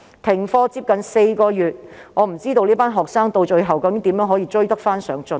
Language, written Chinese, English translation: Cantonese, 停課近4個月，我不知道這群學生到最後可以如何追得上進度。, Given that classes have been suspended nearly four months I do not know how this group of students can catch up with the progress in the end